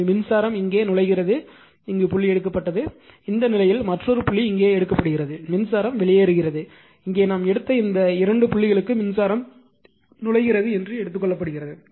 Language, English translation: Tamil, So, current is entering here is dot is taken right and in this case you are what you call another dot is taken here another dot is taken here right, say current is your what you call leaving and here it is taken that current is entering this 2 dots we have taken